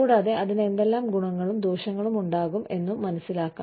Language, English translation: Malayalam, And, what their advantages and disadvantages could be